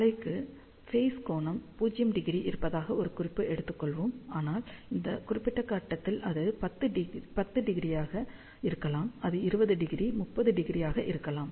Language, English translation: Tamil, So, let us take reference as the wave has a phase angle 0 degree, but at this particular point, it may be 10 degree over here, it may be 20 degree, 30 degree and so on